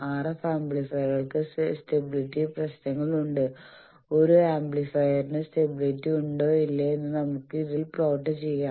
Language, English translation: Malayalam, Then I said that RF amplifiers have stability problems that stability also can be put that way that a amplifier is stable or not that we can plot on this